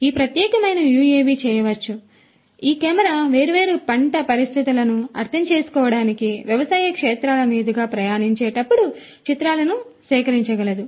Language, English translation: Telugu, This particular UAV can and this camera can collect images while it is on flight over agricultural fields to understand different crop conditions and so on and so forth